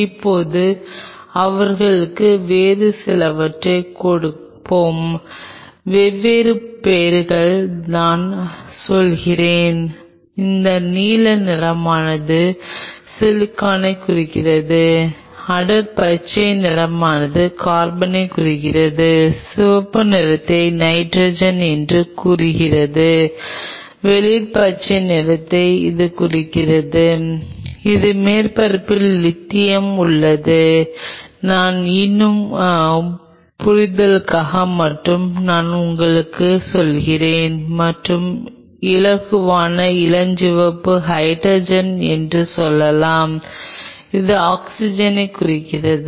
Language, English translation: Tamil, Now let us give them some different, different names say I say these blue stands for silicon, dark green stands for carbon, red stands for say nitrogen, light green this say stands for, so the surface has lithium I am just for your understanding sake I am telling you and lighter pink which may stands for say hydrogen and this one stands oxygen